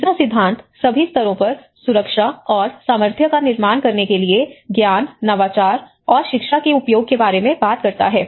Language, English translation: Hindi, The third principle is use knowledge, innovation, and education to build a culture of safety and resilience at all levels